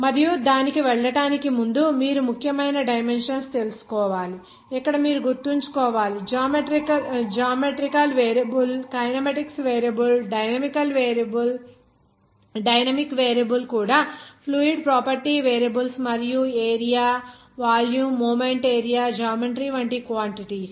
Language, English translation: Telugu, And before going to that you have to know important dimensions also you have to remember here in this like given some variable like geometrical variable kinematics variable dynamic variable even fluid property variables and their quantities like geometry like area volume even moment area